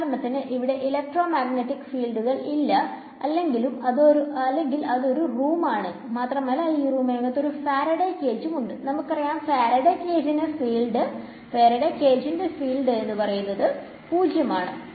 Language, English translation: Malayalam, For example, maybe it is there are there are no electromagnetic fields there or let us say it is a room and inside a room there is a Faraday cage, inside the Faraday cage we know that the field is 0